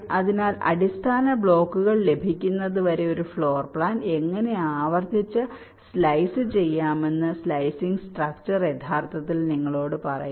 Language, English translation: Malayalam, so slicing structure actually tells you how to slice a floor plan repeatedly until you get the basic blocks